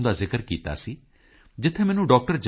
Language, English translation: Punjabi, com, where I got to read about Dr